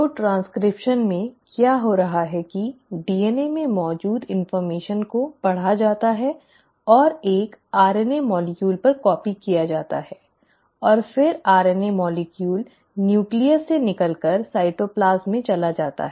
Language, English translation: Hindi, So in transcription, what is happening is that the information which is present in the DNA is read and copied onto an RNA molecule, and then the RNA molecule moves out of the nucleus into the cytoplasm